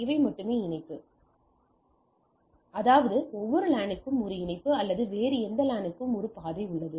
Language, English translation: Tamil, So, this is the only these are the only connectivity; that means, every LAN has one connection, one connectivity or one path to this any other LAN